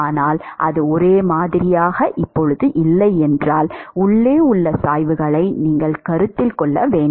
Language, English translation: Tamil, But if it is not uniform yes you should consider the gradients inside